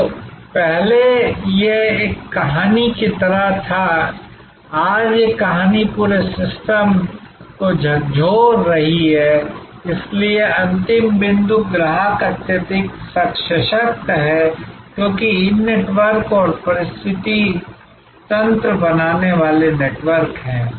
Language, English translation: Hindi, So, earlier this was like a tale, today this tale is whacking the whole system, so the end point, the customer is highly empowered, because of these networks and the networks forming ecosystems